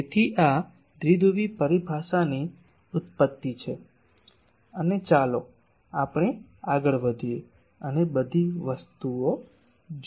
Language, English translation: Gujarati, So, this is the origin of this dipole terminology and but let us go ahead and see more things that